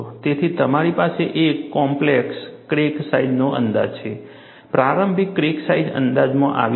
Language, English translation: Gujarati, So, you have a critical crack size estimated; initial crack size estimated